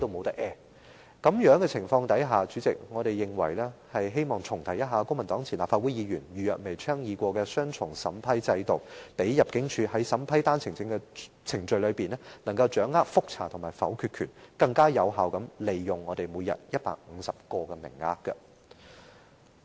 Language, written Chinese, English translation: Cantonese, 在此情況下，我們認為得重提公民黨前立法會議員余若薇曾倡議的"雙重審批制度"，讓入境處可在審批單程證的程序中，掌握覆查和否決權，從而更有效地利用每天150個的名額。, Under this circumstance I consider it necessary to revisit the dual vetting and approval system proposed by Audrey EU a former Member of the Legislative Council of the Civic Party so that ImmD may screen and exercise vetoing power in the course of the vetting and approval of OWPs so that the daily quota of 150 permits will be used effectively